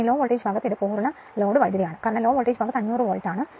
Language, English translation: Malayalam, This is full load current at the low voltage side because 500 volt on the low voltage side right